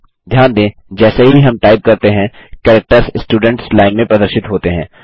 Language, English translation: Hindi, As we type, the characters are displayed in the Students Line